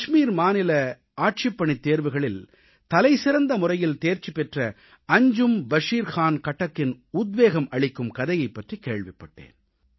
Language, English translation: Tamil, Recently, I came to know about the inspiring story of Anjum Bashir Khan Khattak who is a topper in Kashmir Administrative Service Examination